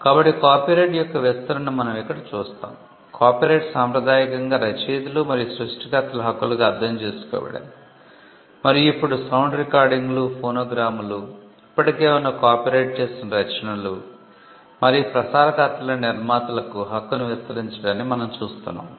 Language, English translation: Telugu, So, we slowly see the expansion of copyright, copyright was traditionally understood as rights of the authors and creators and now we see the right extending to producers of sound recordings, phonograms, performers of existing copyrighted works and broadcasters